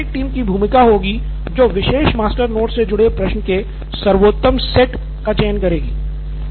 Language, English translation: Hindi, So probably again the administrative team will come into place and select the best set of questions that are tied to that particular master note